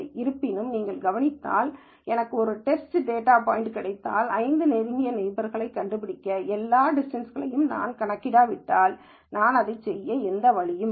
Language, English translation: Tamil, However, if you notice, if I get a test data point and I have to find let us say the 5 closest neighbor, there is no way in which I can do this, it looks like, unless I calculate all the distances